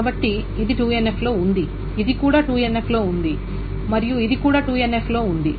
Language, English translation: Telugu, So this is in 2NF, this is also in 2NF and this is also in 2NF